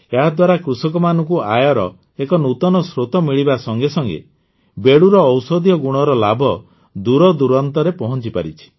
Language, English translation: Odia, Due to this, farmers have not only found a new source of income, but the benefits of the medicinal properties of Bedu have started reaching far and wide as well